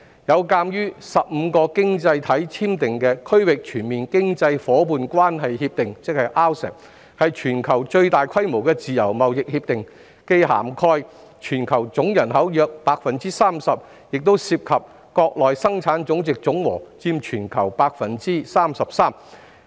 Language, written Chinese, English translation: Cantonese, 有鑒於個經濟體簽訂《區域全面經濟伙伴關係協定》，是全球最大規模的自由貿易協定，既涵蓋全球總人口約 30%， 亦涉及國內生產總值總和佔全球 33%。, The Regional Comprehensive Economic Partnership RCEP signed by 15 economies is the largest free trade agreement in the world covering about 30 % of the worlds population and accounting for 33 % of the global GDP